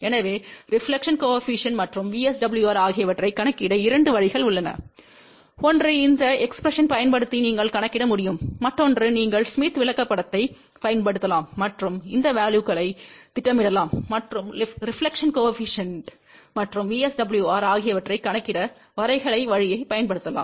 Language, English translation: Tamil, So, there are two ways to calculate reflection coefficient and VSWR ; one is you can calculate using these expression; another one is you can use smith chart and plot these values and use graphical way to calculate reflection coefficient and VSWR